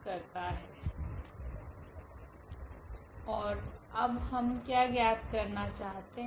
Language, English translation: Hindi, And what we want to now find